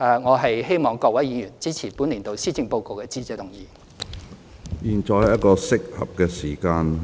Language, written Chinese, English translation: Cantonese, 我希望各位議員支持本年度施政報告的致謝議案。, I hope Members will support the Motion of Thanks for the Policy Address this year